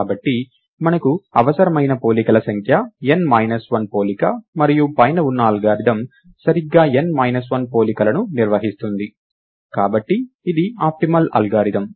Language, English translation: Telugu, So the number of comparisons is you need n minus 1 comparison in the algorithm above, performs exactly n minus 1 comparisons; therefore, this is an optimal algorithm